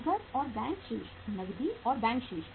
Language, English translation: Hindi, Cash and bank balances, cash and bank balances